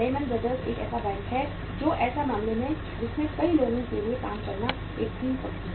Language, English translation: Hindi, Lehman Brother is the one bank that is the case that it was a dream company for many people to work in